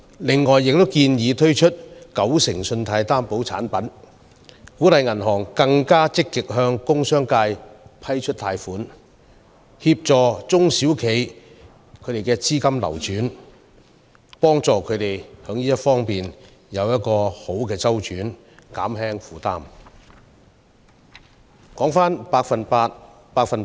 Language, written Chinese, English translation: Cantonese, 此外，我們亦建議推出九成信貸擔保產品，鼓勵銀行更積極向工商界批出貸款，為中小型企業提供資金周轉協助，以減輕他們的負擔。, We also propose to introduce 90 % Guarantee Product and encourage banks to grant loans to the commercial and industrial sectors in a more proactive manner to provide financing facility to small and medium enterprises SMEs in a bid to ease their burden